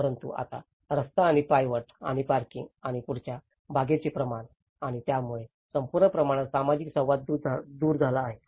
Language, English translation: Marathi, But now with the scale of the street and the footpath and the parking and the front garden and so the whole scale have taken away that the social interaction